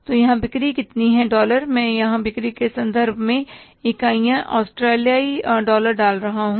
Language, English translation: Hindi, I am putting here the sales in terms of say the units are Australian dollars